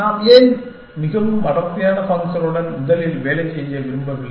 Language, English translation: Tamil, Why are you do not we want to work with the most dense function first